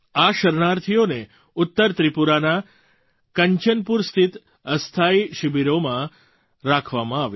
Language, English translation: Gujarati, These refugees were kept in temporary camps in Kanchanpur in North Tripura